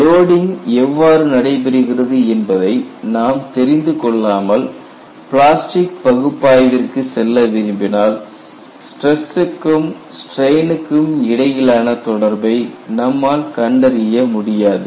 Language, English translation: Tamil, When you want to go for plastic analysis, unless you keep track of the loading history, you will not be able to find out a relationship between stress and strain